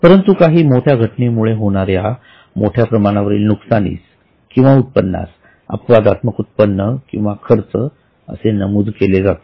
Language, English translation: Marathi, But some big happening which causes major losses or major incomes, they would be categorized as exceptional incomes or expenses